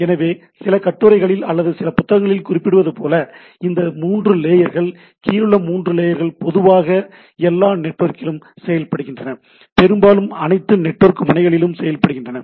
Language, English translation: Tamil, So, this if we in some of the literature or some of the books we refer this 3 layers at the lower 3 layers at typically implemented in all network, mostly implemented in all network nodes